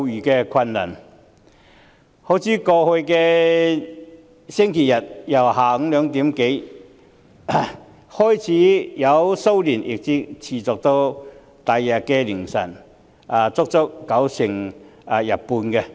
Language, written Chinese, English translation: Cantonese, 好像在剛過去的星期日，騷亂由下午2時多開始，一直持續到翌日凌晨，足足維持了半天。, Last Sunday for instance the disturbances which started from some time past two in the afternoon lasted till dawn the next day lingered for as long as half a day